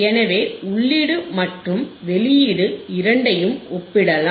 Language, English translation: Tamil, So, we can compare the input and output both